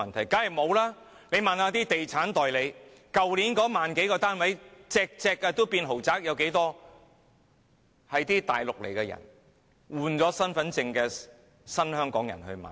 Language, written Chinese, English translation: Cantonese, 大家問一問地產代理，去年那1萬多個成交的單位，全部也是豪宅，有多少是來自內地、剛換領身份證的新香港人購買的？, Members can ask property agents to tell them how many of the one thousand luxurious units sold last year were bought by new holders of the Hong Kong Identity Card from the Mainland